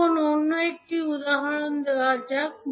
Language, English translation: Bengali, Now, let us take another example